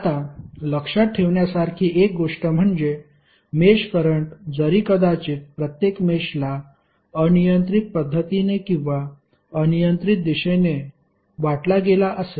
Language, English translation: Marathi, Now one important thing to remember is that although a mesh current maybe assigned to each mesh in a arbitrary fashion or in a arbitrary direction